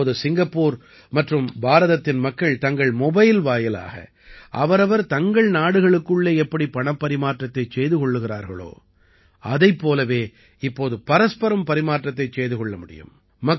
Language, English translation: Tamil, Now, people of Singapore and India are transferring money from their mobile phones in the same way as they do within their respective countries